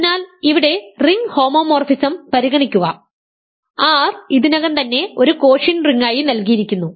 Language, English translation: Malayalam, So, here consider the ring homomorphism here R is already given as a quotient ring